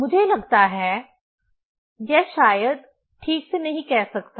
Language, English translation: Hindi, I think, this one could not say properly probably